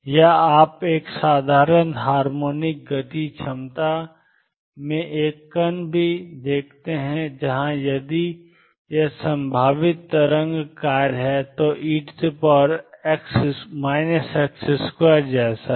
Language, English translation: Hindi, Or you also see a particle in a simple harmonic motion potential, where if this is the potential wave function is like e raise to minus x square